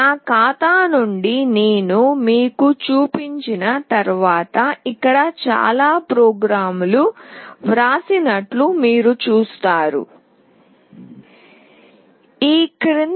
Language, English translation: Telugu, Once I show you from my account you will see that there are many programs that are written here